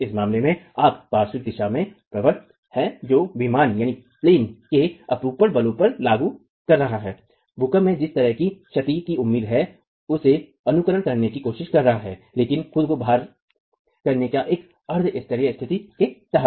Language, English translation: Hindi, In this case, you have the lateral, you have the actuator in the lateral direction which is applying the in plain shear forces trying to simulate the kind of damage that is expected in an earthquake but under a quasi static condition of loading itself